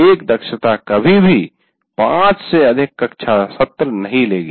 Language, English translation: Hindi, So one competency is, will never take more than five classroom sessions